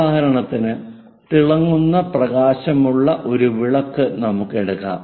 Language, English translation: Malayalam, For example, let us takes a light lamp which is shining light